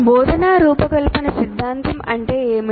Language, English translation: Telugu, What is the design oriented theory